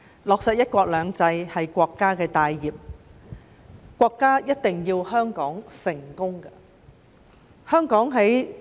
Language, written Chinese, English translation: Cantonese, 落實"一國兩制"，是國家的大業，國家一定要香港成功。, Implementing one country two systems is a major undertaking of the country and the country wants Hong Kong to succeed no matter what